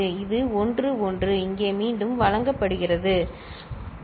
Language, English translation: Tamil, And this was 1 1 is fed back here 1